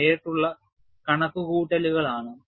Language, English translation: Malayalam, This is direct calculation